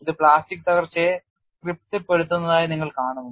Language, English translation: Malayalam, You find it satisfies plastic collapse